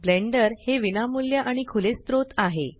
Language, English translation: Marathi, Blender is free and open source